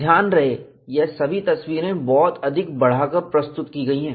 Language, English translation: Hindi, Mind you, these are all highly exaggerated pictures